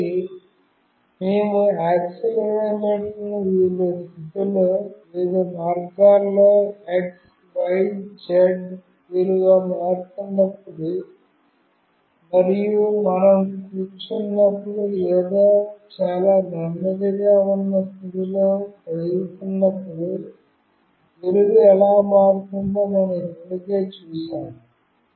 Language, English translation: Telugu, So, we have already seen that when we move the accelerometer in various position, in various ways, the x, y, z value changes and when we are sitting or we are moving in a very slow position, how the value changes